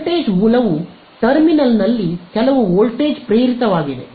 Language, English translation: Kannada, A voltage source there is some voltage induced in the terminal